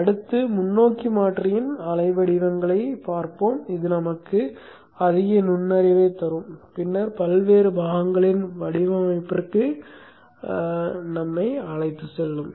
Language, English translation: Tamil, Next let us look at the waveforms of the forward converter which will give us more insight and then which will lead us to the design of the various components